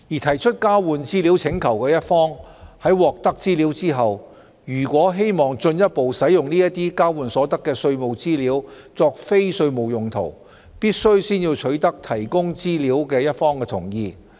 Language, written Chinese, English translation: Cantonese, 提出交換資料請求的一方在獲得資料後，如果希望進一步使用交換所得的稅務資料作非稅務用途，必須先取得提供資料一方的同意。, If upon receipt of the information the party requesting an exchange of information wished to further use the tax information exchanged for non - tax related purposes it must first obtain the consent of the party providing the information